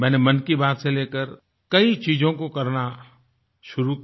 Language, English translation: Hindi, Taking a cue from Mann Ki Baat, I have embarked upon many initiatives